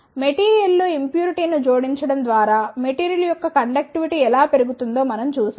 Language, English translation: Telugu, Then we saw how the conductivity of the material can be increased by adding the impurity in the material